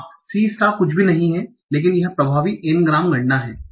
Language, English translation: Hindi, Yes, c star is my nothing but my effective n grumb count